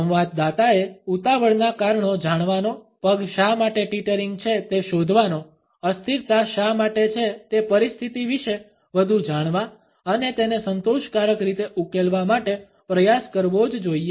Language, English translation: Gujarati, The interactant must try to find out the reasons of the hurry, reasons why the feet are teetering, why the unsteadiness is there to find out more about the situation and resolve it in a satisfactory manner